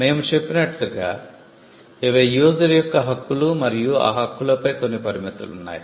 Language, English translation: Telugu, As we said these are rights of the user and there are certain restrictions on those rights